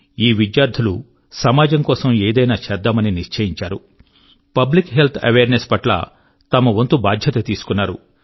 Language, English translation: Telugu, Under this, the former students resolved to do something for society and decided to shoulder responsibility in the area of Public Health Awareness